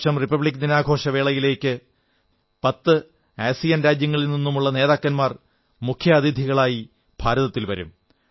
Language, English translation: Malayalam, The Republic Day will be celebrated with leaders of all ten ASEAN countries coming to India as Chief Guests